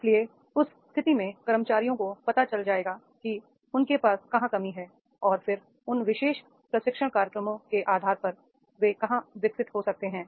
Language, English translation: Hindi, So, therefore in that case the employees will come to know where they are they are lacking and then they can develop on basis of this particular training programs